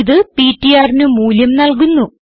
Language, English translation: Malayalam, This is will give the value of ptr